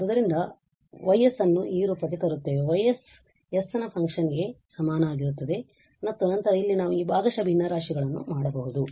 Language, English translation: Kannada, So, we will again bring into this form that Y s is equal to this function of s and then here we can do this partial fractions